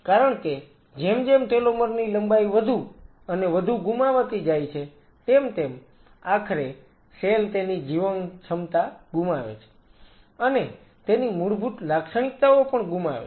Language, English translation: Gujarati, Because as more and more telomere lengths are lost eventually the cell loses it is viability loses it is original characteristics